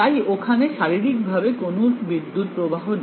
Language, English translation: Bengali, So, I know that physically there are no surface currents